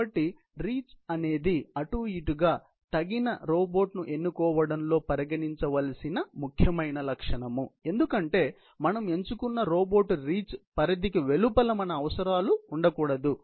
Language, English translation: Telugu, So, reach is definitely by and large, one of the most important characteristic to be considered in selecting a suitable robot, because the applications pay should not fall outside the selected robots reach